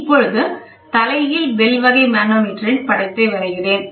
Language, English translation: Tamil, So, let me draw the figure of an inverted bell type manometer